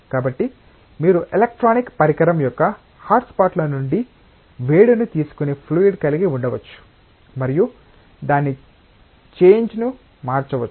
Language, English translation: Telugu, So, you can have a liquid which takes heat from hotspots of the electronic device and can change its phase